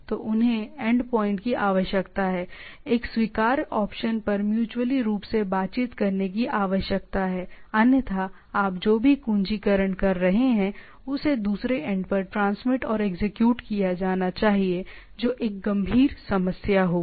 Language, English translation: Hindi, So, they need to the end point need to negotiate mutually on a acceptable option; otherwise whatever you are keying in need to be transmitted and executed to the other end that will be a serious problem on that